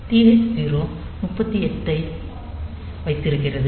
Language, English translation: Tamil, So, TH 0 was holding 38h in our case